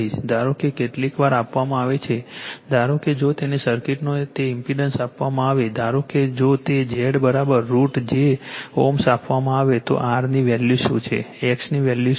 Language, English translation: Gujarati, Suppose sometimes is given suppose if it is given that impedance of a circuit , suppose if it is given that Z is equal to say root j , a ohm it is given then what is the value of r what is the value of x right